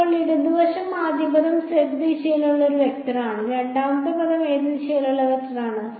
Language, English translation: Malayalam, So, the left hand side the first term is a vector in the z direction, second term is a vector in which direction